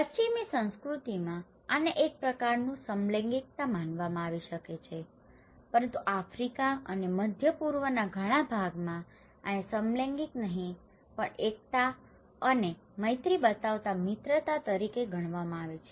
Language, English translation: Gujarati, This is could be considered in Western culture as a kind of homosexuality but in many part of Africa and Middle East this is considered to be as not homosexual but solidarity and also friendship showing friendship